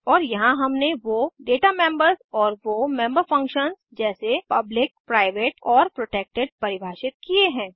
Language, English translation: Hindi, And here we have defined the Data members and the member functions as public, private and protected